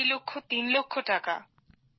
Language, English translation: Bengali, 5 lakh rupees, three lakh rupees